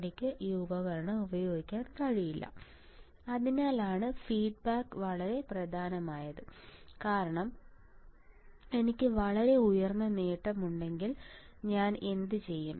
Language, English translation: Malayalam, I cannot use this device that is why that is why the feedback is very important right because what will I do if I have gain of very high gain